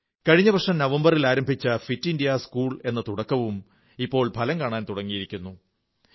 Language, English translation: Malayalam, The 'Fit India School' campaign, which started in November last year, is also bringing results